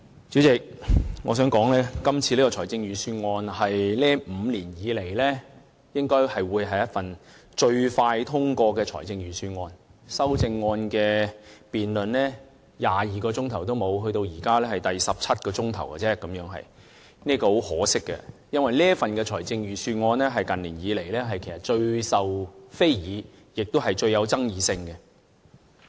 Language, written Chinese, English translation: Cantonese, 主席，我想說今次這份財政預算案應該是這5年來最快獲得通過的預算案，修正案的辯論不足22小時，至今只是第十七小時，這是很可惜的，因為這份預算案是近年來最受非議，也是最具有爭議性的。, Chairman I am sure that the Budget this year will be the one approved most quickly in five years . The debate on the budget will be concluded in less than 22 hours and up to now 17 hours have passed . This is really unfortunate because the budget this time around is the most objectionable and controversial one